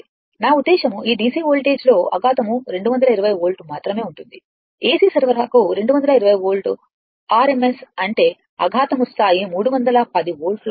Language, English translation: Telugu, I mean, in this DC voltage, the shock will be 220 volt only for AC supply 220 volt rms means your shock level will be 310 volts